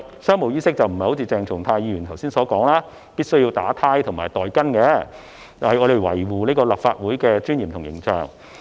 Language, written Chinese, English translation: Cantonese, 商務衣飾並非如剛才鄭松泰議員所說必須結領帶和戴袋巾，而是要維護立法會的尊嚴和形象。, Contrary to what Dr CHENG Chung - tai said earlier on business attire does not mean that tie and pocket square are compulsory . It serves to safeguard the dignity and uphold the image of the Council